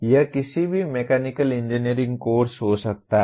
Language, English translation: Hindi, It can be any mechanical engineering course